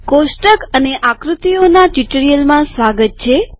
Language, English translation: Gujarati, Welcome to this tutorial on tables and figures